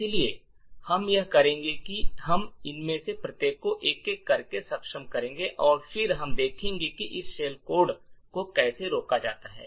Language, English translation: Hindi, So, what we will do is that we will enable each of these one by one and then we will see how this shell code is prevented